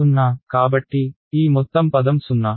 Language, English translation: Telugu, 0 right; so, this whole term is 0 ok